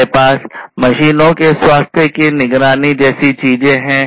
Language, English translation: Hindi, We have things like monitoring the health of the machines